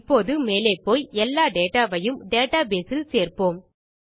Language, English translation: Tamil, Now we will go ahead and add all our data into our data base